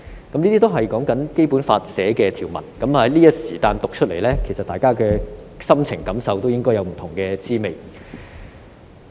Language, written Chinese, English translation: Cantonese, 以上也是《基本法》的條文，我在這時候讀出來，相信大家都百般滋味在心頭。, The above are the provisions of the Basic Law . As I read them out at this point in time I believe that Members all have mixed feelings